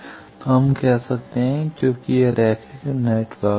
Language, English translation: Hindi, So, we can represent, since it is linear network